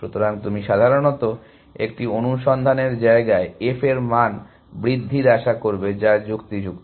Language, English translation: Bengali, So, he would generally expect f values to increase in a search space, which is consistent